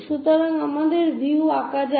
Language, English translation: Bengali, So, let us draw the views